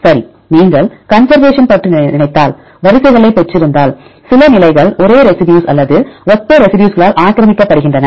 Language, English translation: Tamil, Right, if you think about the conservation if you have set of sequences some positions are occupied by same residue or similar residues right